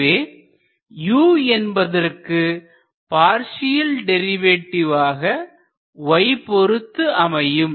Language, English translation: Tamil, It will be the partial derivative of u with respect to y